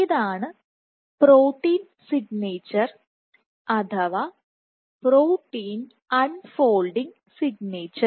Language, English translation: Malayalam, So, this is the protein signature, protein unfolding signature